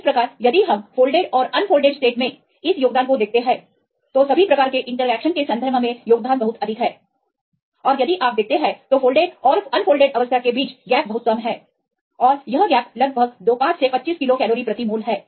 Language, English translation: Hindi, So, if we look into this contribution in the folded state and unfolded state the contribution is very high in terms of all the types of interactions and if you look into the difference between the fold and unfolded state this is very less right and the difference is about 5 to 25 kilo cal per mole